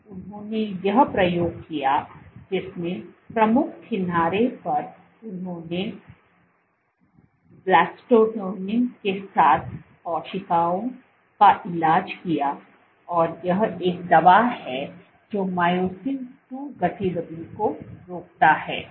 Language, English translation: Hindi, So, they did this experiment in which at the leading edge they treated cells with Blebbistatin this is a drug which inhibits myosin II activity